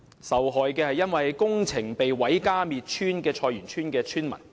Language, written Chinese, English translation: Cantonese, 受害的，是因為工程而遭毀家滅村的菜園村村民。, The victims are Choi Yuen Tsuen dwellers whose home village was razed to make way for XRL construction